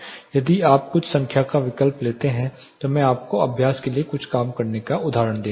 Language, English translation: Hindi, If you substitute some number I will be giving you some working examples for your exercises